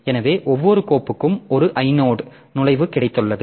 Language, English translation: Tamil, So, we have got so each file has got an an I node entry